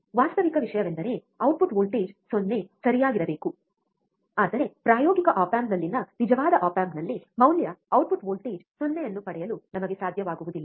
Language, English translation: Kannada, Actual thing is, the output voltage should be 0 right, but in actual op amp in the practical op amp, we are not able to get the value output voltage 0, right